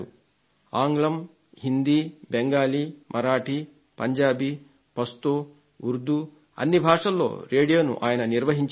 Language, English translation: Telugu, English, Hindi, Bengali, Marathi Punjabi, Pashto, Urdu, he used to run the radio in all these languages